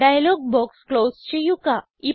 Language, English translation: Malayalam, Close this dialog box